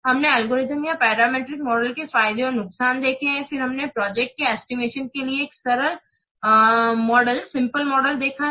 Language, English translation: Hindi, Then as also we have also discussed the algorithmic model or the parameter model for project estimation